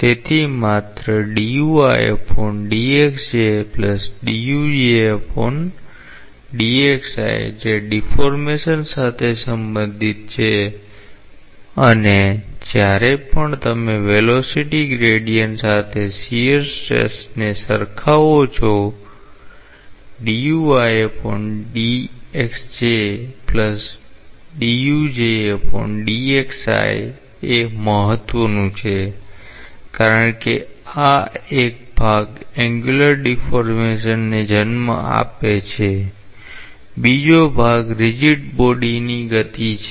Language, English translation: Gujarati, So, only this part is related to deformation and whenever you relate shear stress with the velocity gradient; this part is what is important because this part is giving rise to angular deformation, the other part is a rigid body motion